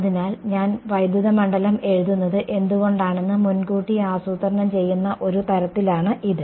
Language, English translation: Malayalam, So, that is just sort of looking planning ahead why I am writing the electric field